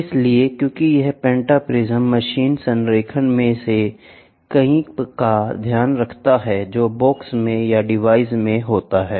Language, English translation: Hindi, So, because this pentaprism takes care of many of the machine alignments which is there in the box or in the device itself